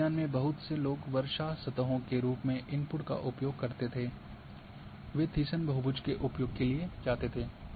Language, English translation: Hindi, In hydrology lot of people use to have the input as a rainfall surfaces they used to go for Thiessen polygon